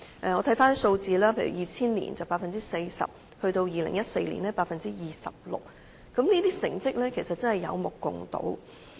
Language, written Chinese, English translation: Cantonese, 回看數字，在2000年是 40%， 在2014年更是 26%， 成績是有目共睹的。, If we take a look at the figures 40 % in 2000 and 26 % in 2014 . The result actually speaks for itself